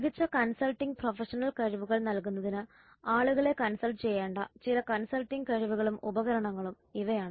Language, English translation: Malayalam, These are some of these consulting skills and tools required by consulting people in order to deliver superior consulting professional skills